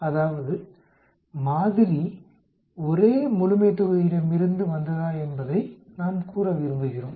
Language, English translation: Tamil, That means, we want to say whether the sample comes from the same population